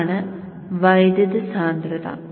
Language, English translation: Malayalam, So this is the current density